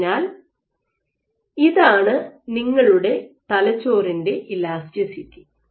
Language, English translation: Malayalam, So, this is your brain elasticity, so you have cells